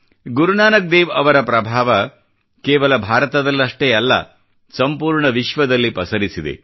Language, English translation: Kannada, The luminescence of Guru Nanak Dev ji's influence can be felt not only in India but around the world